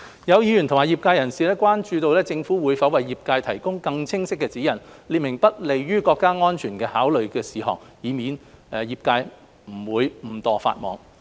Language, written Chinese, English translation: Cantonese, 有議員及業界人士關注政府會否為業界提供更清晰指引，列明不利於國家安全的考慮事項，以免業界誤墮法網。, Some Members and members of the industry are concerned about whether the Government will provide clearer guidelines for the industry specifying the matters considered contrary to the interests of national security so as that the industry can avoid breaking the law inadvertently